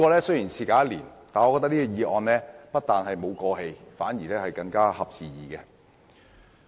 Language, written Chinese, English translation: Cantonese, 雖然事隔一年，但本議案不但沒有顯得過時，反而更合時宜。, Although one year has passed since then this motion has not become outdated . On the contrary it is even more opportune